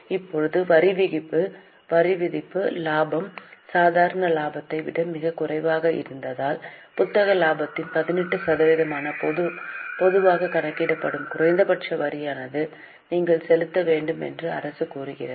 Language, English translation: Tamil, Now if the taxation, the taxable profit is much lesser than the normal profit, government says that you at least pay some minimum tax that is normally calculated at 18% of the book profit